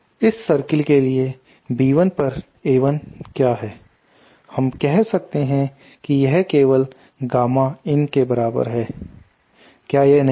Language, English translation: Hindi, What is the b 1 upon A 1 for this circle, that we can say it is simply equal to the gamma in, isnÕt it